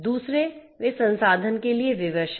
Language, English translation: Hindi, Secondly, they are resource constrained